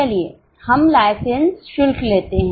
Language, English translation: Hindi, Let us say license fee